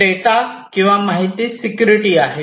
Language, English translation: Marathi, We have data or information security, right